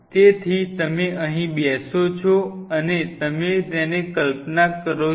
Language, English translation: Gujarati, So, here is you like you know sitting there and you visualize it